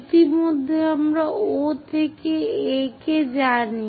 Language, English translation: Bengali, Already we know O to A